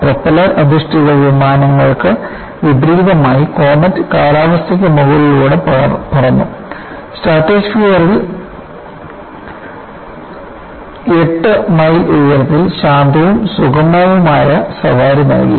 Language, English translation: Malayalam, A jet airliner, in contrast to propeller based planes,comet flew above the weather, 8 miles up in the stratosphere, and provided a quiet and smooth ride